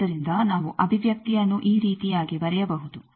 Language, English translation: Kannada, So, we can write the expression like this